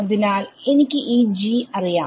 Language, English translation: Malayalam, So, I know this g